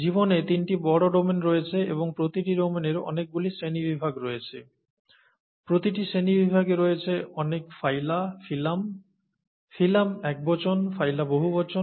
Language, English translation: Bengali, There are three major domains in life, and each domain has many kingdoms, each kingdom has many phyla, phylum, plural, phylum singular, phyla plural